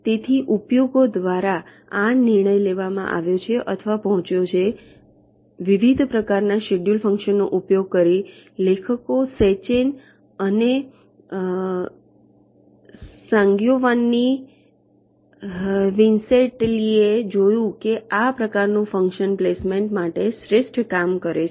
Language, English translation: Gujarati, so by using various different kinds of the schedule function the authors sechen and sangiovanni vincentelli they found that this kind of a function works the best for placement